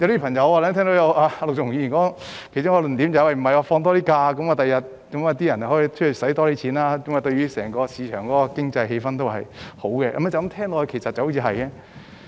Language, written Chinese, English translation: Cantonese, 我聽到陸頌雄議員提出的其中一個論點是，增加假期會增加消費，對整個市場的經濟氣氛也有好處，這聽來好像是對的。, I heard that one of the arguments presented by Mr LUK Chung - hung is increasing holidays will boost consumption which is beneficial to the economic atmosphere of the entire market . It sounds right apparently